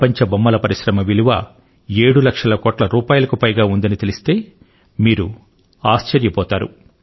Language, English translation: Telugu, You will be surprised to know that the Global Toy Industry is of more than 7 lakh crore rupees